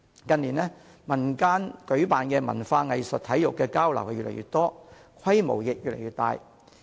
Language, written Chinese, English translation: Cantonese, 近年，民間舉辦的文化、藝術及體育交流活動越來越多，規模亦越來越大。, In recent years the number of cultural arts and sports exchange activities arranged by community organizations have been growing and so has the scale of these activities